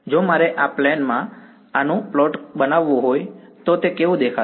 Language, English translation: Gujarati, If I want to plot this in the, in this plane what would it look like